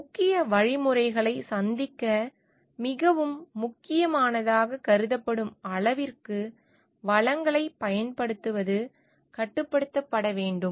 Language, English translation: Tamil, Using of resources should be restricted to the extent it is considered very important for meeting of the vital means